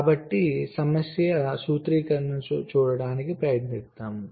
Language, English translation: Telugu, so lets try to see the problem formulation